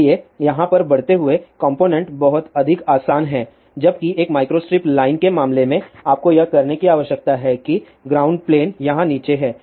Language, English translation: Hindi, So, component mounting over here is much more easier whereas, in case of a micro strip line what you need to do that ground plane is down here